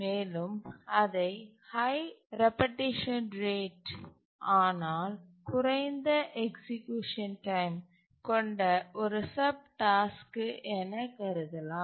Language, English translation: Tamil, We can consider it to be just one subtask which has high repetition rate but low execution time